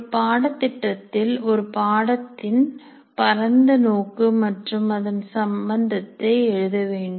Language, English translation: Tamil, Then one should write the broad aim of the course and its relevance to the program